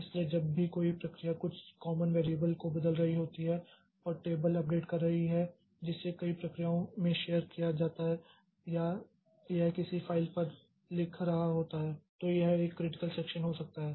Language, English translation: Hindi, So, whenever a process is changing some common variable, updating some table which is shared across a number of processes or it is writing onto a file